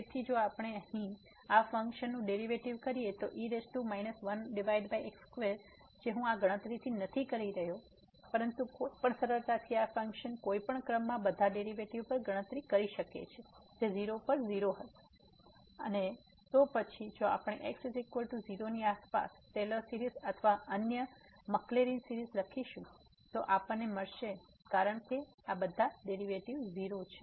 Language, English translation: Gujarati, So, if we take the derivative of this function here power minus one over square which I am not doing this calculations, but one can easily compute at all the derivations of any order of this function at 0 will be 0 and then we if we write the Taylor series or other Maclaurin series around is equal to 0 then we will get because all the derivative are 0